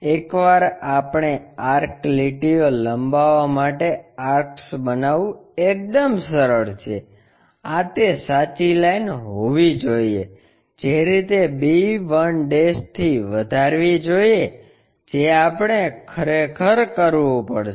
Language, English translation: Gujarati, Once, we make arcs is quite easy for us to extend this true lines this must be the true line extend it in that way from b1' we have to really do